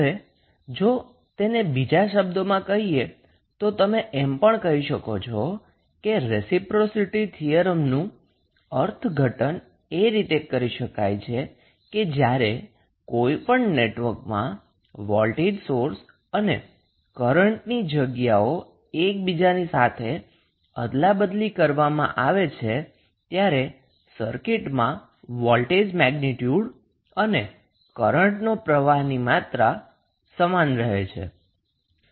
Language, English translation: Gujarati, Now, in other words, you can also say that reciprocity theorem can be interpreted as when the places of voltage source and current in any network are interchanged the amount of magnitude of voltage and current flowing in the circuit remains same